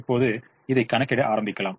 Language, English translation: Tamil, now let us start doing this